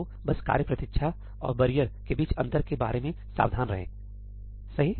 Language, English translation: Hindi, So, just be careful about the difference between task wait and barrier, right